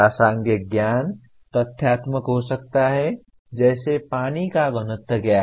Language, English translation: Hindi, The relevant knowledge may be factual like what is the density of water